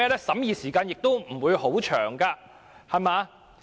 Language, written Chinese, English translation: Cantonese, 審議時間亦不會很長。, It would not take a long time to scrutinize such amendments